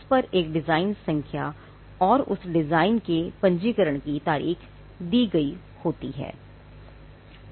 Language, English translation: Hindi, It bears a design number, the date of registration of that design is given